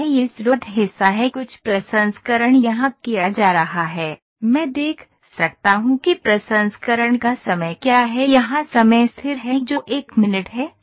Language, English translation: Hindi, So, thus this is source part some processing is being done here, I can see what is the time of the processing here the times is constant 1 minute